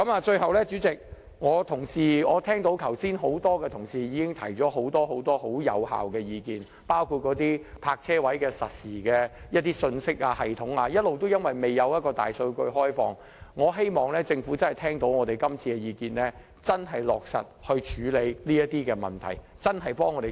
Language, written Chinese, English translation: Cantonese, 最後，主席，剛才很多同事已提出很多有效的意見，包括在泊車位實時信息系統方面，由於一直未開放大數據，我希望政府這次聽到我們的意見後，會真正落實處理這些問題，為我們發展一個智慧城市。, Lastly President earlier on many Honourable colleagues have put forward a lot of effective suggestions on among others real - time parking space information systems . Given that big data has not yet been opened I hope that the Government after listening to our views here will truly implement measures to address these issues with a view to developing a smart city for us